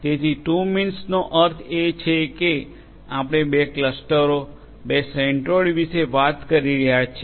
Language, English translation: Gujarati, So, 2 means would mean that we are talking about two clusters, two centroids